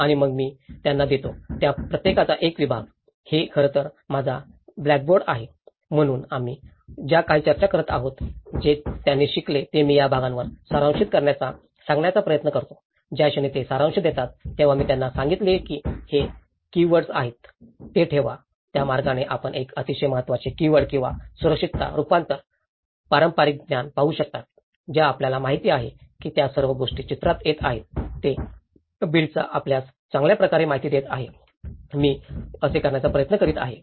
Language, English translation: Marathi, And then I give them; each of them a segment of the; this is my blackboard actually, so whatever the discussions we are getting, what they learnt I try to ask them to summarize in this part so, the moment they are summarizing then I asked them to keep what are the keywords which are informing this so, in that way you can see a very important keywords or security, adaptation, traditional knowledge you know all those things are coming into the picture which is informing the build back better you know, that is how I try to put